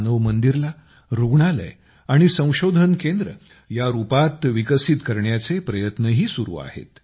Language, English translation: Marathi, Efforts are also on to develop Manav Mandir as a hospital and research centre